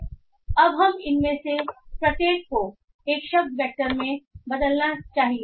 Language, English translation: Hindi, Now we have to convert each of this into a word vector